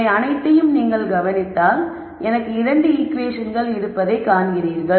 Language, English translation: Tamil, So, if you notice all of this, you see that I have 2 equations